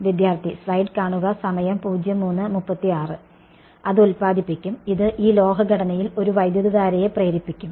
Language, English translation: Malayalam, It will generate, it will induce a current in this metallic structure right